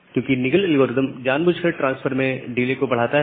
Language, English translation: Hindi, Because Nagle’s Nagle’s algorithm intentionally increasing the delay in transfer